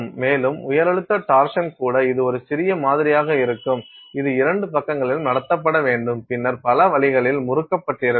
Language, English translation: Tamil, And, even high pressure torsion it will be a small sample which has to be held on two sides and then twisted in several different ways